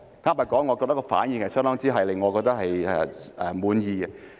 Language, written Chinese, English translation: Cantonese, 坦白說，我覺得他們的反應令我相當滿意。, Frankly speaking I would say that I am very happy with their response